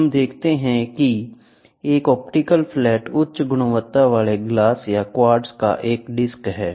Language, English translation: Hindi, Let us see that, an optical flat is a disc of high quality glass or quartz